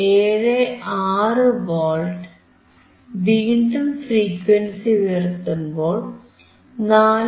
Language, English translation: Malayalam, 76V so, let us still increase the frequency